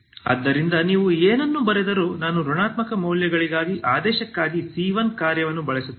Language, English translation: Kannada, So this whatever you have written I use c 1 function for the ordinate for the negative values